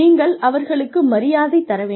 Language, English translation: Tamil, You respect them, you treat them with respect